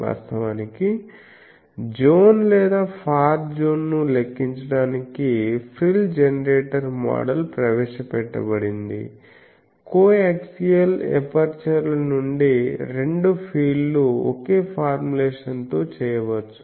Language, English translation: Telugu, Actually the frill generator model was introduced to calculate the near zone or far zone both fields can be done with the same formulation from co axial apertures